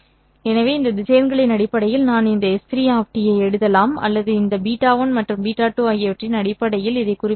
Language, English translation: Tamil, So I can write down this s 3 of t in terms of these vectors or equivalently specify this in terms of beta 1 and beta 2